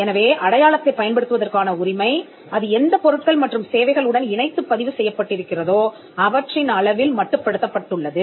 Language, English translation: Tamil, So, your right to use the mark is confined to the goods and services for which it is registered